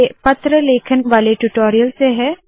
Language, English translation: Hindi, This is from the spoken tutorial on letter writing